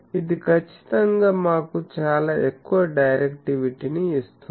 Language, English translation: Telugu, So, it will definitely give us very high directivity